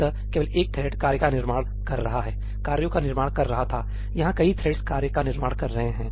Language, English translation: Hindi, there only one thread was creating the work, creating the tasks; here multiple threads are creating the tasks